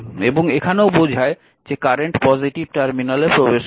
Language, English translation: Bengali, So, this is ah this current is entering because positive terminal